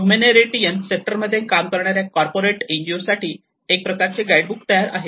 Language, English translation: Marathi, There is a guide to the corporates, all the NGOs who are working in the humanitarian sector